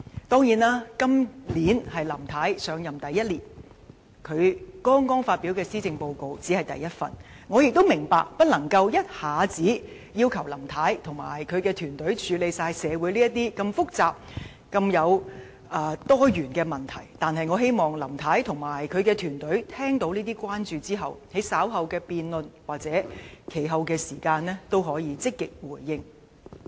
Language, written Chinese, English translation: Cantonese, 當然，今年是林太上任的第一年，她剛發表第一份施政報告，我們不能要求林太及其團隊一下子解決社會上所有如此複雜和多元的問題，但我希望他們聽到這些關注後，能在稍後的辯論或其後的時間積極回應。, Of course this is the first year after Mrs LAM assumed office and she has just delivered her first Policy Address so we cannot expect Mrs LAM and her team to solve the complicated and diversified problems in our society all at once . However after they have heard these concerns I hope that they will respond positively in the later debates or some time later